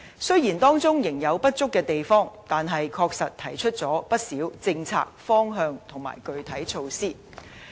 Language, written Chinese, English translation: Cantonese, 雖然當中仍有不足的地方，但確實提出了不少政策方向和具體措施。, Even though it is still marked by certain inadequacies it has honestly put forth many policy directions and specific measures